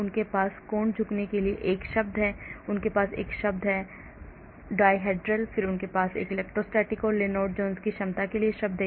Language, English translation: Hindi, they have a term for angle bending, they have a term for dihedral, then they have a term for electrostatic and Lennard Jones potential